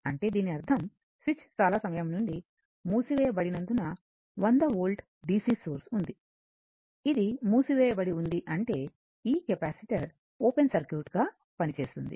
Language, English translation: Telugu, So, as switch was closed for a long time that means, to this and this 100 volt DC source is there, this is close; that means, this capacitor will act as an open circuit right